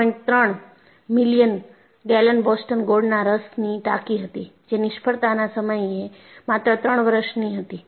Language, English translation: Gujarati, 3 million gallon Boston molasses tank, which was only 3 years old at the time of failure